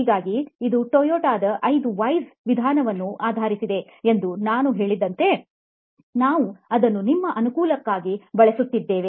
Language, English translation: Kannada, So like I said this is based on Toyota’s 5 Whys approach, we will use it for our own convenience